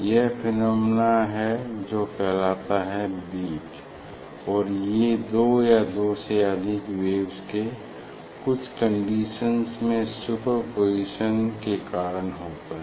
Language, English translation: Hindi, this is the phenomena it is called bit and so this due to superposition of two or more waves under some certain condition, we get very prominent phenomena